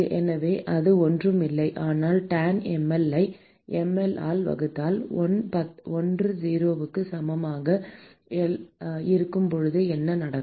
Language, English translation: Tamil, So, that is nothing, but tanh mL divided by mL what happens when l equal to 0